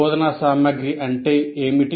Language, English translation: Telugu, Now what is instructional material